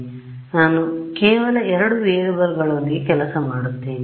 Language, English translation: Kannada, So, that I work with just two variables right